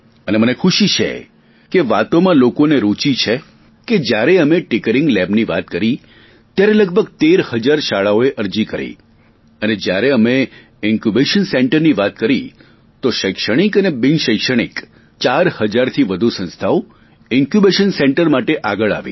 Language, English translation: Gujarati, When we spoke of Tinkering Labs, about 13 thousand schools applied and when we talked of Incubation Centres, over four thousand academic and nonacademic institutions came forward